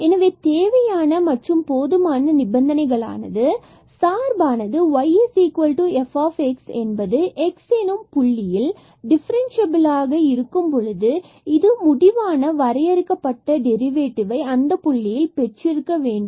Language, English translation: Tamil, So, the necessary and sufficient condition that the function y is equal to f x is differentiable at the point x is that it possesses a finite derivative at this point